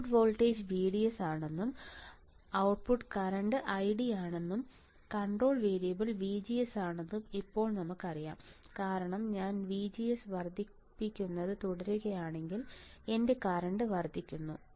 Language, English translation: Malayalam, Now we know that output voltage is VDS output current is I D, and control variable is VGS because if I keep on increasing VGS my current increases correct